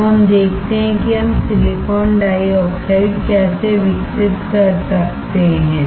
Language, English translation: Hindi, Now, what we see is how we can grow silicon dioxide